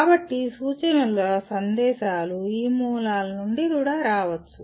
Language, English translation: Telugu, So the instructional messages can come from any of these sources